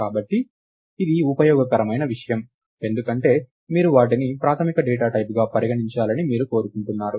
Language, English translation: Telugu, So, this is a useful thing, because you want to you want them to be treated as basic data types